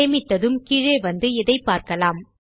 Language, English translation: Tamil, Okay so once I save here, we can come down and see this here